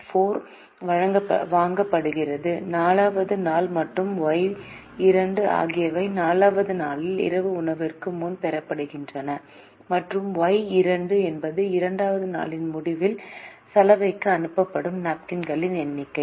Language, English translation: Tamil, x four is bought on the fourth day and y two are received before the dinner on the fourth day and y two are the number of napkins sent at the end of the second day to the laundry